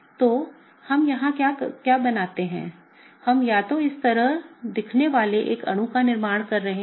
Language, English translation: Hindi, So, what do we form here, we either form a molecule looking like this